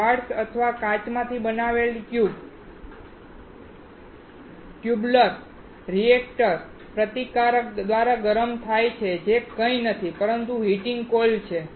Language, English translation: Gujarati, The tubular reactor made out of quartz or glass heated by the resistance, which is nothing, but heating coils